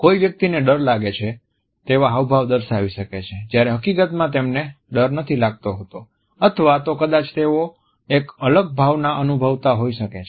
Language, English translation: Gujarati, A person may show an expression that looks like fear when in fact they may feel nothing or maybe they feel a different emotion altogether